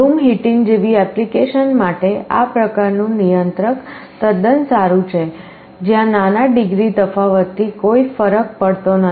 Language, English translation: Gujarati, This kind of a controller is quite good for applications like room heating, where small degree difference does not matter